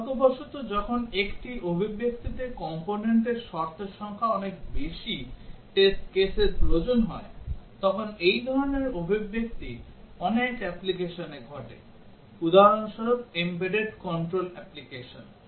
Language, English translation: Bengali, Unfortunately, when the number of components condition in an expression is large to require too many test cases, such expression occurs in many applications, for example, embedded control applications